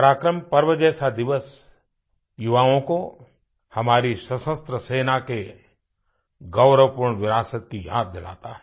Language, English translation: Hindi, A day such as ParaakaramPrava reminds our youth of the glorious heritage of our Army